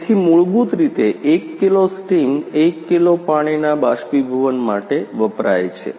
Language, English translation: Gujarati, So, the basically 1 kg steam is used for 1 kg water evaporation